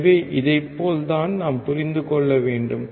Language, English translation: Tamil, So, this is how we have to understand